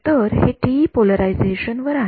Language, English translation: Marathi, So, this is at TE polarization right